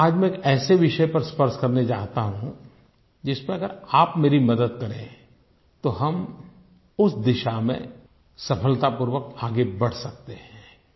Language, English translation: Hindi, Today I want to touch upon one topic in which if you can be of help to me, then we can together achieve progress in that direction